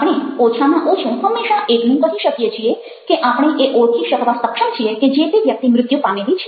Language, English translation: Gujarati, we can always say that at least we are able to identify that this person is dead